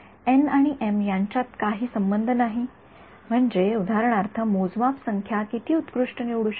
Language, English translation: Marathi, There is no relation between n and m, I mean I mean m for example, the number of measurements you can choose it to be at best how much